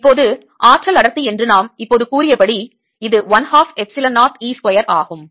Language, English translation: Tamil, now, according to what we just now said, the energy density, it is one half epsilon zero e square